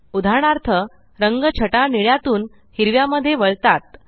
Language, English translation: Marathi, For example, the color shade moves from blue to green